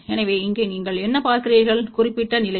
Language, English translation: Tamil, So, here what you see at this particular level